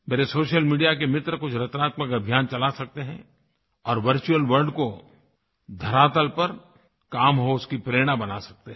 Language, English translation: Hindi, My friends from the social media can run a few creative campaigns and thus become a source of inspiration in the virtual world, to see results in the real world